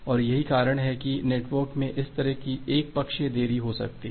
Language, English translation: Hindi, And that is why there can be this kind of arbitrary delay in the network